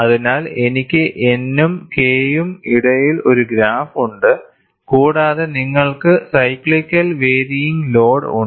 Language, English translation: Malayalam, So, I have a graph between N and K, and you have cyclically varying load